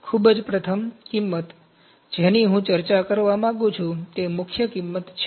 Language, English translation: Gujarati, Very first cost, that I would like to discuss is, prime cost